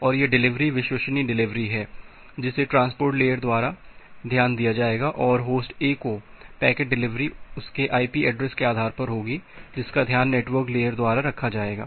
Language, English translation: Hindi, And this delivery the reliable delivery that will be taken care of the by the transport layer and the delivery of the packet to host A based on it is IP address that will be taken care of by the network layer